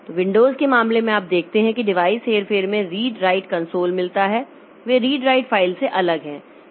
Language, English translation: Hindi, So, in case of Windows, you see that device manipulation we have got read console, write console, they are different from read file and write file calls